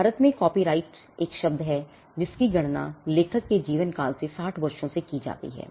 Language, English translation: Hindi, Copyright in India has a term which is computed as life of the author plus 60 years